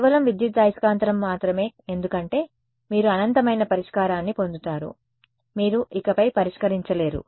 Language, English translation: Telugu, Because just electromagnetics alone, you get infinite solution you cannot solve any further